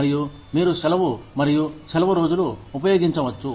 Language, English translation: Telugu, And, you could use, vacation and leave days